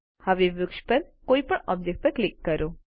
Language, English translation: Gujarati, Now click on any object in the tree